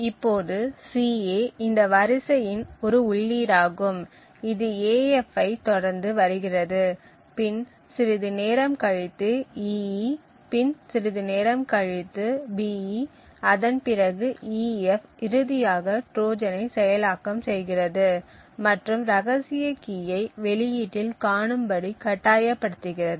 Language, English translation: Tamil, Now this sequence for example ca is an input which is followed by af and after some time there is an ee, then after some time there is a be and then an ef would finally activate the Trojan and force the secret key to be visible at the output